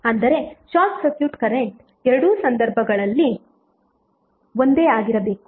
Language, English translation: Kannada, That means that short circuit current should be same in both of the cases